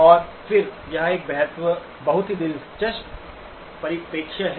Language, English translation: Hindi, And then that is a very interesting perspective